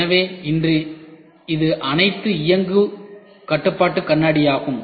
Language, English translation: Tamil, So, today it is all powered control mirror